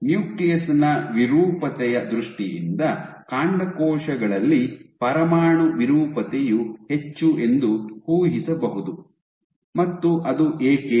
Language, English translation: Kannada, So, in terms of deformability of the nucleus, one would imagine that deformability, nuclear deformability will be high in stem cells, and why is that